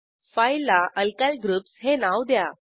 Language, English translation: Marathi, Enter the file name as Alkyl Groups